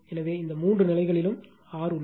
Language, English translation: Tamil, So, these three cases is R there right